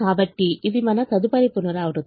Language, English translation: Telugu, so this is our next iteration